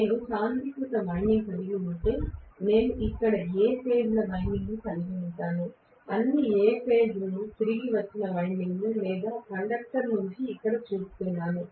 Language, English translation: Telugu, If I have a concentrated winding, I am probably going to have all the A phase winding here, all the A phase returned windings or conductor here